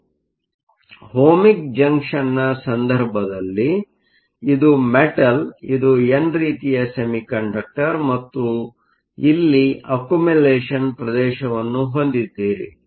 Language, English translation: Kannada, So, in the case of an Ohmic Junction, this is the metal, this is the n type semiconductor and you have an accumulation region